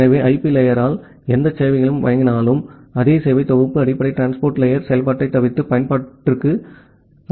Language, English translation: Tamil, So, whatever services is being provided by the IP layer, the same set of service is just forwarded to the application by bypassing the basic transport layer functionality